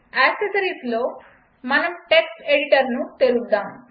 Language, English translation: Telugu, In accessories, lets open Text Editor